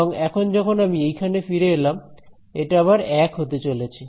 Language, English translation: Bengali, And now by the time I come over here it is going to be 1 again